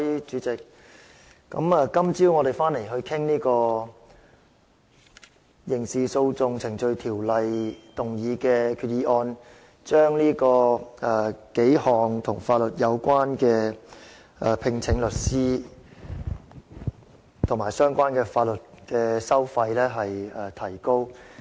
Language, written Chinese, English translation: Cantonese, 主席，我們今早回來討論的是根據《刑事訴訟程序條例》動議的擬議決議案，目的是把數項與法律援助有關的收費，例如聘請律師及相關的法律收費提高。, President this morning we have come back to discuss the proposed resolution under the Criminal Procedure Ordinance which seeks to increase a number of fees relating to legal aid such as the legal fees of hiring lawyers and the associated fees